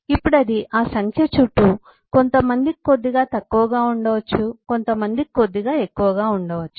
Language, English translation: Telugu, now, for some it could be little less, for some it could be little more